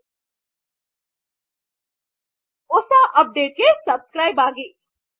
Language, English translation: Kannada, Please subscribe for latest updates